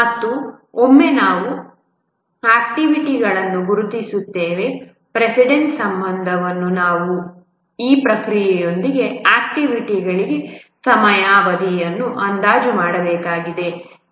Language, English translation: Kannada, And once we identify the activities, their precedence relationship, we need to estimate the time duration for each of these activities